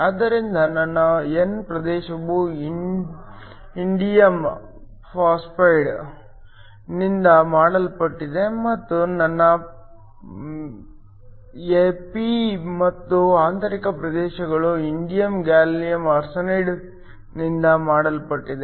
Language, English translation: Kannada, So, my n region is made of indium phosphide and my p and the intrinsic regions are made of indium gallium arsenide